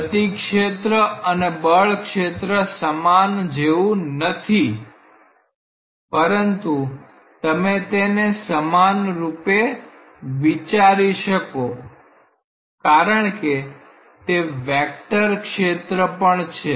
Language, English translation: Gujarati, Now, if you think of the velocity field; velocity field is not exactly like a force field, but you may think it analogously because, it is also a vector field